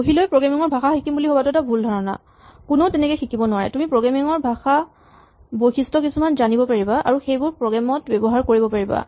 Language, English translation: Assamese, It is a mistake to sit and learn a programming language; nobody learns a programming language, you learn features of a programming language and put them to use as you come up with good programs